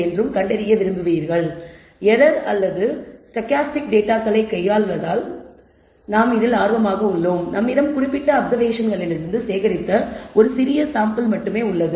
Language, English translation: Tamil, Also we are interested since we are dealing with data that that has ran errors or stochastic in nature and we only have a small sample that, we can gather from there from the particular application